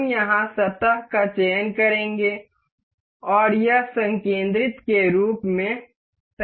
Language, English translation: Hindi, We will select the surface here and it fixes as concentric